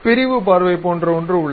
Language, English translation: Tamil, There is something like section view